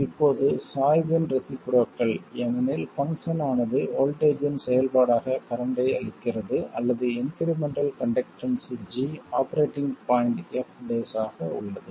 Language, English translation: Tamil, Now it is the reciprocal of the slope because the function gives you a current as a function of voltage or the incremental conductance G is F prime at the operating point